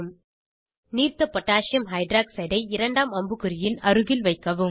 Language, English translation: Tamil, Position Aqueous Potassium Hydroxide (Aq.KOH) close to second arrow